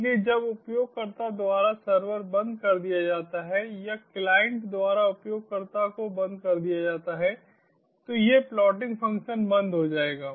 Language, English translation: Hindi, so once the server is closed by the user or the client is closed by the uses, this plotting function will stop